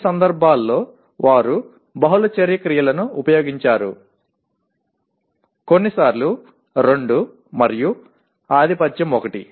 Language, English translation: Telugu, In some cases they used multiple action verbs, sometimes two and dominantly one